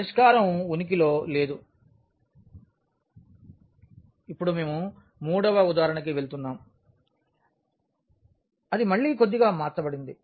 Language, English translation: Telugu, Now, we will go to the third example which is again slightly changed